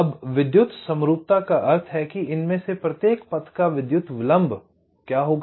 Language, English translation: Hindi, now, electrical symmetry means what would be the electrical delay of each of this paths